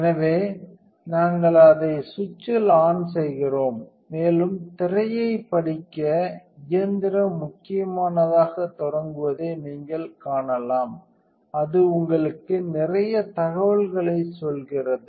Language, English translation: Tamil, So, we just turn it to the on switch, and you can see the machine starting up as important to read the screen it tells you a lot of information